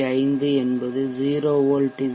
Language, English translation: Tamil, 5 volts at the output